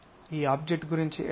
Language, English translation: Telugu, How about this object